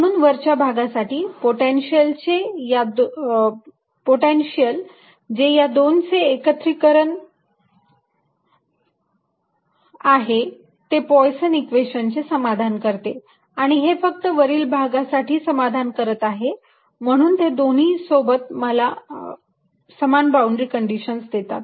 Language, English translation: Marathi, so as far the upper region is concerned, the potential, which is a combination of these two, satisfies the same poisson's equation as it [C30]satisfies only for the upper charge and the two to together give me the same boundary condition